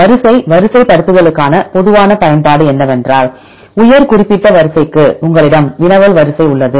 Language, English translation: Tamil, The common use for a sequence alignment is, for a high specific sequence you have a query sequence